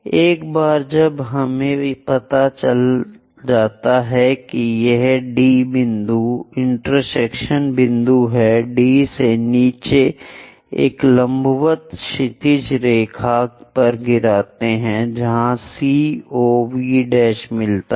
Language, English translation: Hindi, Once we know this D point intersection point drop a perpendicular from D all the way down to a horizontal line where C O V prime meets